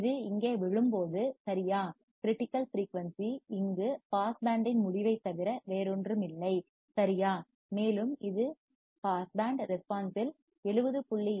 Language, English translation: Tamil, When this falls here right and the critical frequency is nothing but the end of pass band here right, and it will be nothing but 70